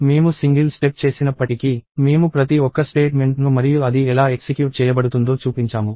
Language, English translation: Telugu, Even though I was doing single stepping, I actually showed every single statement and how it was executing